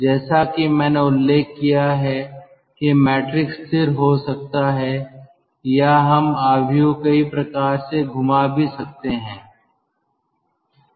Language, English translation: Hindi, as i have mentioned, the matrix could be stationary or we can have some sort of a rotation of the matrix